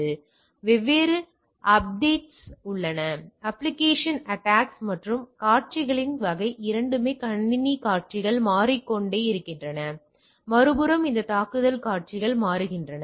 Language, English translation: Tamil, There are different updates applications attacks and type of scenarios are changing both the system scenarios are changing on the other side these attack scenarios are changing, right